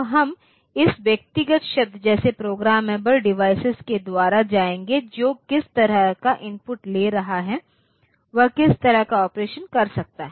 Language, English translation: Hindi, So, we will go by this individual terms like programmable device takes in the, what is the input it is taking, what sort of operations it can perform and on the what it can do the perform